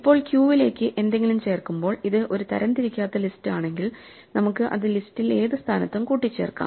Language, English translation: Malayalam, Now, if it is an unsorted list when we add something to the queue we can just add it to the list append it in any position